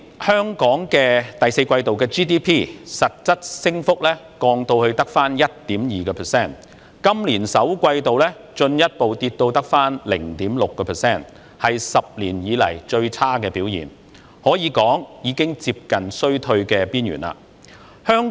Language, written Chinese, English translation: Cantonese, 香港去年第四季度 GDP 實質升幅降至 1.2%， 今年首季進一步下跌至只有 0.6%， 是10年來表現最差的一季，可說是已接近衰退的邊緣。, In the fourth quarter last year the real growth of the Gross Domestic Product GDP of Hong Kong dropped to 1.2 % . In the first quarter this year it further dropped to only 0.6 % the worst quarterly performance in 10 years . It can be said that we are on the brink of a downturn